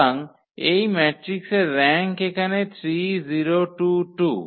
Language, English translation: Bengali, So, rank of this matrix is here 3 0 2 2 and then